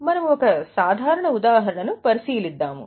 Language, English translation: Telugu, We will take a look at a simple example